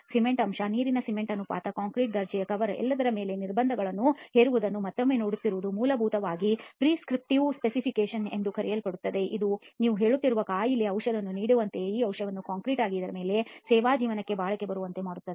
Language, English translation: Kannada, Again just looking at placing restrictions on the cement content, water to cement ratio, grade of concrete, cover and all that that is basically what is known as a prescriptive specification and it is like giving a medicine for an ailment we are saying that okay you put this medicine into the concrete it should be durable for its service life